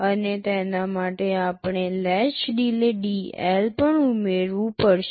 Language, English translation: Gujarati, And to it we have to also add the latch delay dL